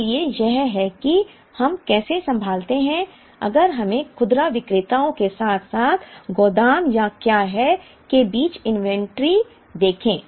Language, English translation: Hindi, So, this is how we handle, if we have to look at inventories between retailer as well as the warehouse or what is called Echelon inventory